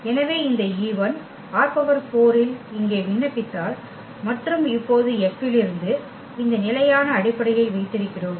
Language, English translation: Tamil, So, we have these standard basis from R 4 and now F if we apply on this e 1 here